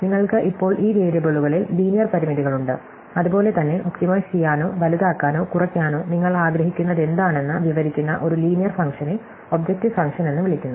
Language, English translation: Malayalam, And you now have linear constraints on these variables, as well as a linear function describing what it is that you want to optimize, maximize or minimize, that is called the objective function